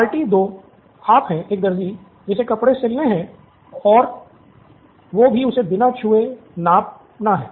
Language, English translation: Hindi, Party 2 is you, the tailor who has to stitch his clothes and has to get him measured without touching him